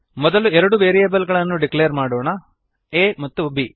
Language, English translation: Kannada, First, we declare two variables a and b